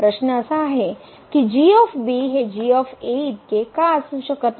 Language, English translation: Marathi, The question is why cannot be equal to